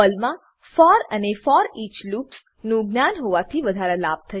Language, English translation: Gujarati, Knowledge of for and foreach loops in Perl will be an added advantage